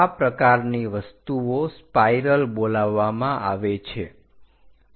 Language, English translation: Gujarati, These kind ofthings are called spiral